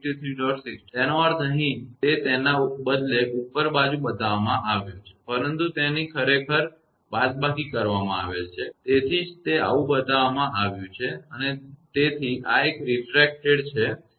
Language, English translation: Gujarati, 64 means here it is shown upward instead of that, but that is actually subtracted, that is why it is shown like this and so this is the refracted one 36